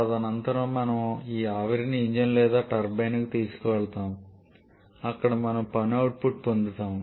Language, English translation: Telugu, Subsequently we take this steam to a engine or turbine where we get the work output